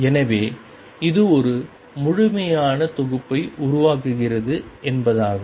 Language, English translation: Tamil, So, this means that this forms a complete set